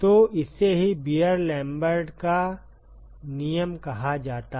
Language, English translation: Hindi, So, this is what is called as Beer Lambert’s law